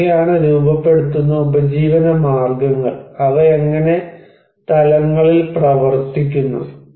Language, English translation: Malayalam, And what are the shaping livelihoods and how they are operating at levels